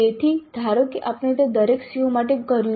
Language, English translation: Gujarati, So, assume that we have done that for every CO